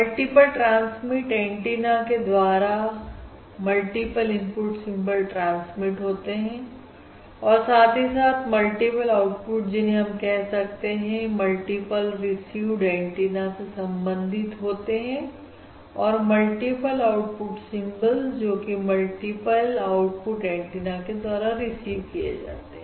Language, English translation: Hindi, So through multiple transmit antennas, the multiple input symbols are transmitted and simultaneously, the multiple outputs that we are referring to correspond to the multiple received antenna and the multiple output symbols are basically received through the multiple output antennas